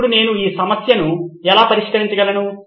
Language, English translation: Telugu, Now how do I solve this problem